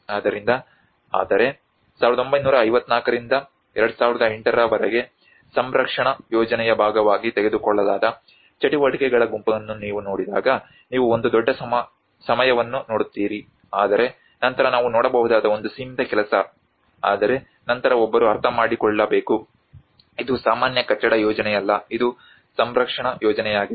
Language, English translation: Kannada, So, but then when you look at the set of activities which has been taken as a part of the conservation plan from 1954 to 2008 you see a huge span of time but then a very limited work what we can see but then one has to understand, it is not a regular building project, it is a conservation project